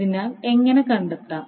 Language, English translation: Malayalam, so, how to find